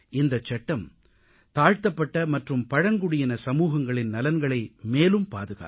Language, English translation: Tamil, This Act will give more security to the interests of SC and ST communities